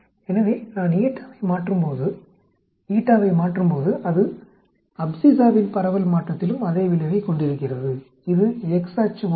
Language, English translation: Tamil, So when I change eta, it has the same effect on the distribution change of the abscissa, it is like the x axis